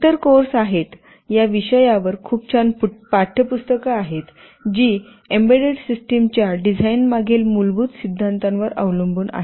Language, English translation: Marathi, There are other courses, there are very nice textbooks on the subject, which dwell with the underlying theory behind the design of embedded systems